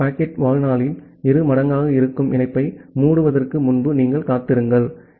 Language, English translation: Tamil, So, you wait before closing a connection which is in general twice the packet lifetime